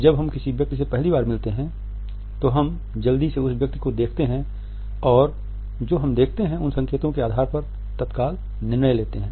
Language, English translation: Hindi, When we meet a person for the first time then we quickly glance at a person and on the basis of what we see, we make an immediate judgment on the basis of these cues